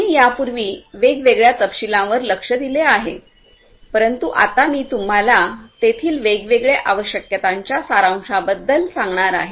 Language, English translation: Marathi, We have looked at it in different levels of detail earlier, but now I am going to expose you to the summary of the different requirements that are there